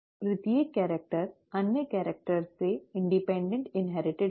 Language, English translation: Hindi, Each character is inherited independent of the other characters